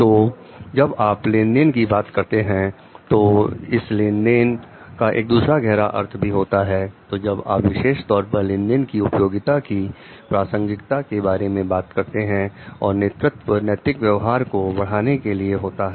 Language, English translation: Hindi, So, when you talk specifically with relevance to suitability of transaction and leadership for promoting ethical conduct is